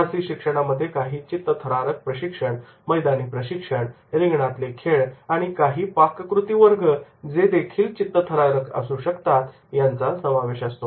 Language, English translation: Marathi, Adventure learning includes the wilderness training, outdoor training, drum circles and even cooking classes that will be the adventurous